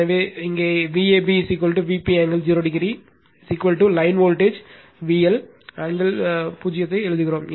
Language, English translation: Tamil, So, here it is given that V ab is equal to V p angle 0 is equal to your line voltage we write V L angle zero